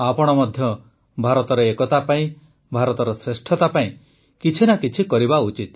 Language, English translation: Odia, You too must do something for the unity of India, for the greatness of India